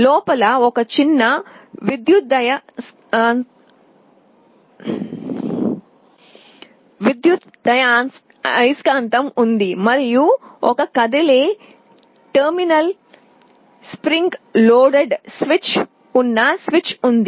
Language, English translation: Telugu, There is a small electromagnet inside and there is a switch with one movable terminal spring loaded switch